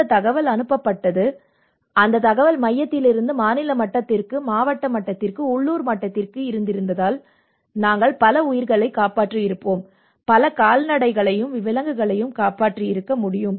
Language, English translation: Tamil, If that information has been passed out and that information has been from central to the state, to the district level, and to the local level, we would have saved many lives we have saved many livestock and as well as animals